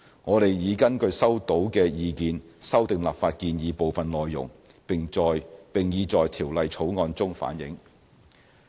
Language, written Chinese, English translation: Cantonese, 我們已根據收到的意見修訂立法建議的部分內容，並已在《條例草案》中反映。, Having regard to the responses we have fine - tuned certain parameters of the legislative proposal as are now reflected in the Bill